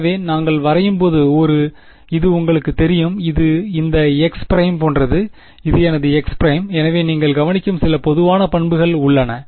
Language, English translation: Tamil, So, this was the you know when we plot it looks like something like this x prime and this is my x prime and so there are some general properties that you will observe